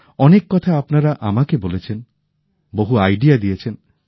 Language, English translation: Bengali, There were many points that you told me; you gave me many ideas